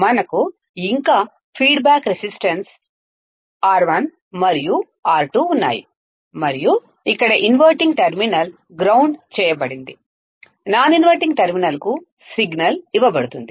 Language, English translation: Telugu, We still have the feedback resistance R 1 and R 2 and here the inverting terminal is grounded, non inverting terminal is given the signal